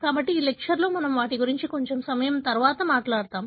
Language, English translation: Telugu, So, we will be talking about them little later in this lecture